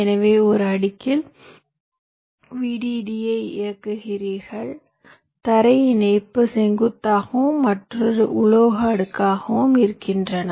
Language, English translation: Tamil, so on one layer you will be running the vdd and ground connection, say vertically, and, and in another metal layer